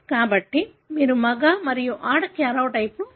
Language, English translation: Telugu, So, this is how you are able to distinguish the male and female karyotype